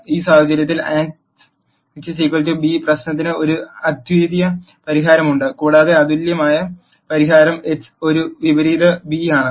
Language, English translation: Malayalam, In this case there is a unique solution to the Ax equal to b problem, and that unique solution is x equal to A inverse b